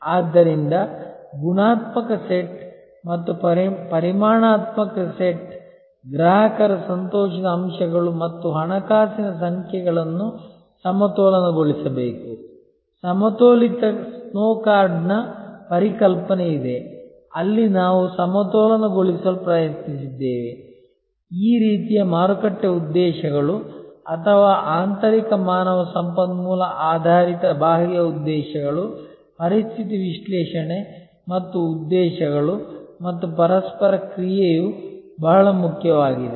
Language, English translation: Kannada, So, the qualitative set and the quantitative set, the customer delight aspects and the financial numbers must be balanced, there is a concept of balanced scorecard, where we tried to balance therefore, this kind of market objectives or external objectives with internal human resource oriented situation analysis and objectives and that balance that interaction is very important